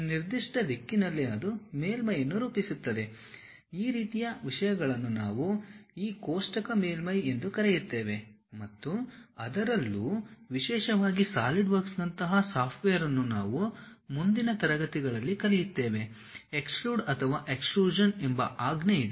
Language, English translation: Kannada, If I am dragging that along particular direction it forms a surface, that kind of things what we call this tabulated surfaces and especially, a software like SolidWork which we will learn it in next classes, there is a command named extrude or extrusion